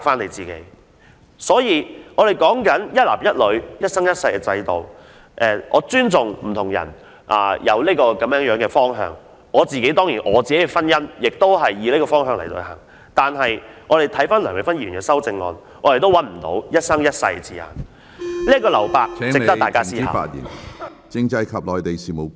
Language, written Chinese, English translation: Cantonese, 對於有人堅持維護一男一女、一生一世的制度，我尊重他們這個方向，而我的婚姻當然亦基於這方向，但回顧梁美芬議員的修正案，我卻找不到"一生一世"的字眼，此處的留白值得大家思考。, I do respect the marriage institution based on the life - long union of one man and one woman and my own marriage rests on the same basis . Yet when we look at Dr Priscilla LEUNGs amendment we simply cannot find any reference to any life - long commitment . We really need to think seriously about the emptiness left here